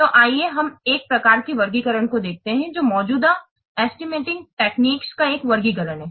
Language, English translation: Hindi, So let's see at the one type of taxonomy, a taxonomy of the existing estimation methods